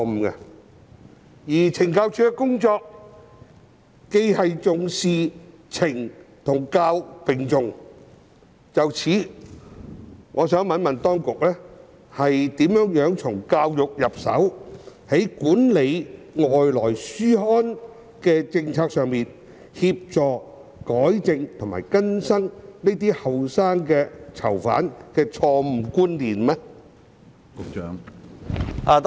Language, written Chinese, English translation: Cantonese, 由於懲教署的工作懲教並重，我想詢問當局如何從教育着手，在管理外來書刊的政策方面協助年輕囚犯糾正錯誤觀念？, As CSD emphasizes on both correction and rehabilitation I would like to ask the authorities how they will rehabilitate prisoners and manage incoming publications to help young prisoners correct their wrong beliefs